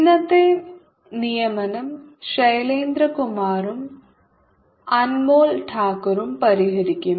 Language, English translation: Malayalam, today's assignment will be solved by shailendra kumar and anmol thakor